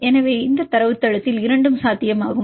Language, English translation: Tamil, So, both are possible in this database